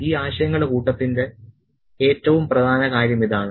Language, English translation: Malayalam, And the bottom line for this set of ideas is this